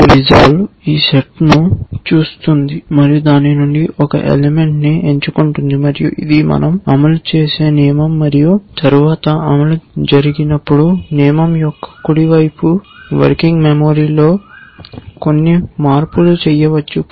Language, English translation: Telugu, Then resolve looks at this set and picks one element out of that and says this is the rule that we will execute and then when execution happens, the right hand of the side of the rule may make some changes in the working memory